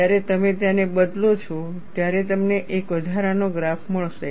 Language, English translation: Gujarati, When you change them, you will get one additional graph